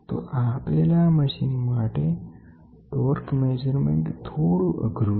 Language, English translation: Gujarati, So, for an existing machine, torque measurement is slightly difficult